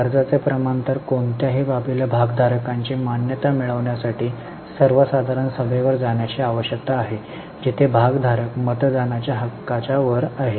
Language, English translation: Marathi, So, many matters need to go to general meeting for getting the shareholder approval where shareholders have a voting right